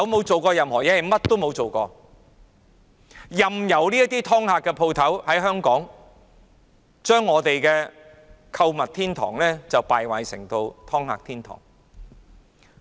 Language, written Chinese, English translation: Cantonese, 政府甚麼也沒有做過，任由"劏客"店繼續在港經營，將香港購物天堂的美譽敗壞為"劏客"天堂。, The Government has never taken any action . It just lets these rip - off shops continue to operate turning Hong Kongs good reputation as a consumers paradise to a rip - off paradise